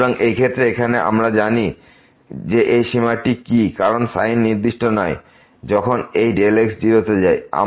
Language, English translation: Bengali, So, in this case here we do not know what is this limit because the sin is not definite when this delta goes to 0